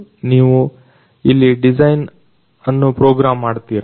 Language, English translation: Kannada, Do you program the design here